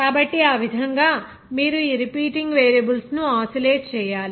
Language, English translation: Telugu, So in that way, you have to oscillate these repeating variables